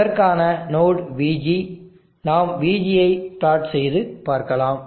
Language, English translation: Tamil, The node for that is VG, we can plot VG and C